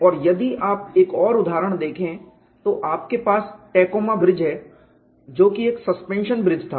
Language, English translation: Hindi, And if you look at another example, you have the Tacoma Bridge which was a suspension bridge